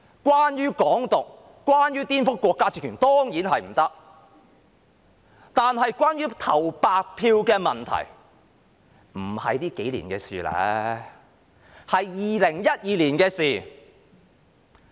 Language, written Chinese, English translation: Cantonese, 關於"港獨"、顛覆國家政權，當然不可，但關於投白票的問題，不是這數年的事，而是2012年的事。, Hong Kong independence and subversion of state power are certainly out of the question but the issue of casting a blank vote is not something which happened only in these few years . Rather it happened in 2012